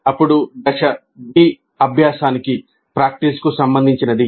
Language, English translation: Telugu, Then the phase B is concerned with practice